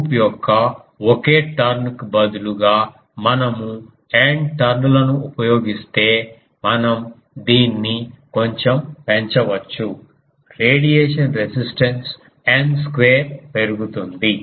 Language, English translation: Telugu, But this can be increased a bit if we instead of a single turn of a loop; if we use N turns, the radiation resistance will increase by n square